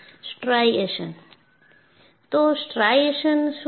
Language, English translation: Gujarati, So, what are striations